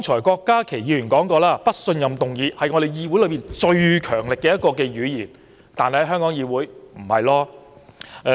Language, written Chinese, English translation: Cantonese, 郭家麒議員剛才提到，"不信任"議案是議會最強力的語言，但在香港議會並非如此。, Dr KWOK Ka - ki said just now that a no - confidence motion is the most forceful kind of parliamentary language . This is not the case in the Hong Kong legislature however